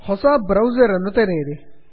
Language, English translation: Kannada, Open a new browser